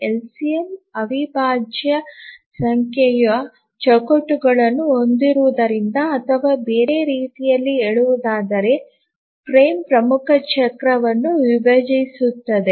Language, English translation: Kannada, We said that the LCM contains an integral number of frames or in other words the frame divides the major cycle